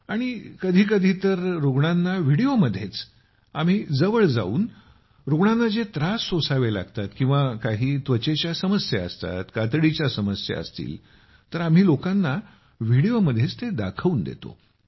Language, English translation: Marathi, And sometimes, by coming close to the patient in the video itself, the problems he is facing, if someone has a skin problem, then he shows us through the video itself